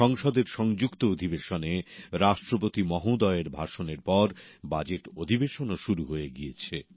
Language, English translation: Bengali, Following the Address to the joint session by Rashtrapati ji, the Budget Session has also begun